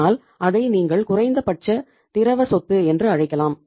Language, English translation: Tamil, But that is as you can call it as the the least liquid asset